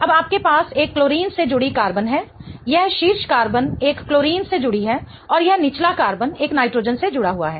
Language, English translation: Hindi, Now, you have a carbon attached to a chlorine, this top carbon is attached to a chlorine and this bottom carbon is attached to a nitrogen